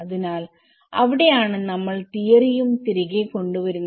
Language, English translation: Malayalam, So that is where we bring back the theory also